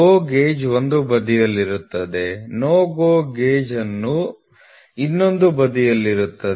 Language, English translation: Kannada, So, GO gauge will be on one side, NO GO gauge will be on the other side